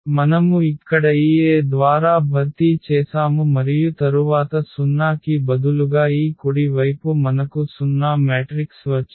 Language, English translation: Telugu, So, we have just replaced here lambda by this A and then we have seen that this right side instead of the 0 we got the 0 matrix